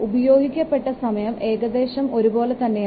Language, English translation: Malayalam, The time taken is almost same